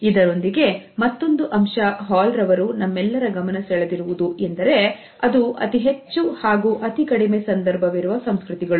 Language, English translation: Kannada, Another aspect towards which Hall has drawn our attention is of high and low context cultures